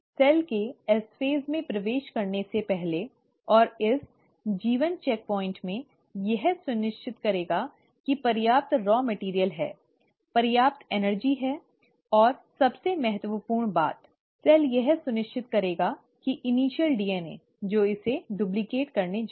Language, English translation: Hindi, Before the cell commits to enter into S phase, and in this G1 checkpoint, it will make sure that there is sufficient raw material, there is sufficient energy and most importantly, the cell will make sure that the initial DNA that it's going to duplicate